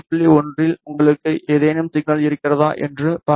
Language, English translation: Tamil, 1 let us see if you have any signal